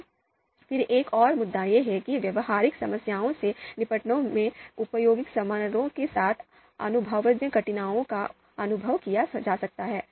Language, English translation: Hindi, Now then another point is that empirical difficulties could be experienced with the utility function in handling practical problems